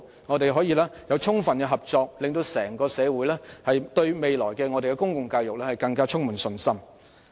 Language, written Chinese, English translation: Cantonese, 我們希望透過充分合作，使整個社會對未來的公共教育更加充滿信心。, We hope that through thorough cooperation the entire society will have more confidence in the public education in future